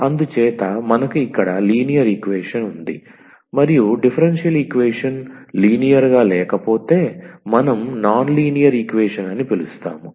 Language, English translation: Telugu, So, then we have the linear equation and if the differential equation is not linear then we call the non linear equation